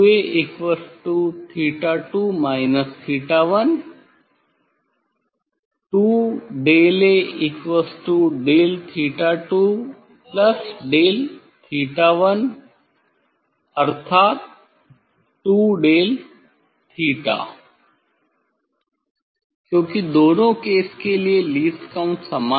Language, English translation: Hindi, 2 A equal to theta 1 minus theta 2, 2 of del A equal to del theta 1 and del theta plus del theta 2 means 2 del theta because least count was same for both cases